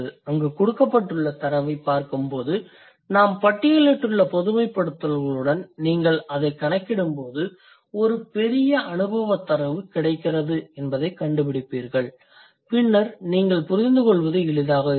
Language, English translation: Tamil, And when you look at the data given there and you tally it with the generalizations that we have listed, you will find out there is a huge empirical data available and then it will be easier for you to understand